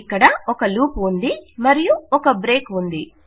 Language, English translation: Telugu, This is a loop here and then a break